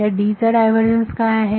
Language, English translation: Marathi, So, what is divergence of D